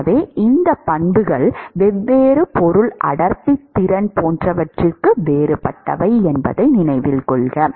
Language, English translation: Tamil, So, note that these properties are different for different material density, capacity etcetera